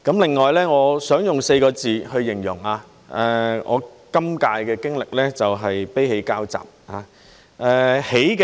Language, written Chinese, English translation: Cantonese, 另外，我想用4個字去形容我今屆的經歷，就是"悲喜交集"。, Besides I would like to use the expression a mixture of sorrow and joy to describe what I have experienced in this term of office